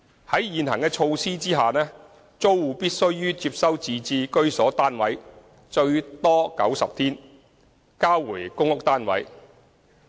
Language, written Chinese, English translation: Cantonese, 在現行措施下，租戶必須於接收自置居所單位後最多90天內交回公屋單位。, In accordance with the prevailing arrangements PRH tenants are required to return their units within a maximum of 90 days after taking over their purchased flats